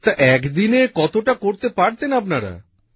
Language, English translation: Bengali, So, in a day, how much could you manage